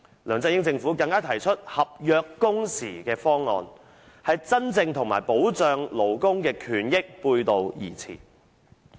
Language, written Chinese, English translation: Cantonese, 梁振英政府更提出"合約工時"的方案，與真正保障勞工權益背道而馳。, The LEUNG Chun - ying Administration even put forward the proposal of contractual working hours which is a far cry from affording workers genuine protection of their rights and interests